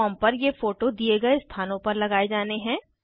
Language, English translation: Hindi, These photos have to pasted on the form in the spaces provided